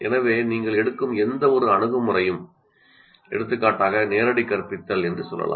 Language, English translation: Tamil, So what happens, any approach that you take, let's say direct instruction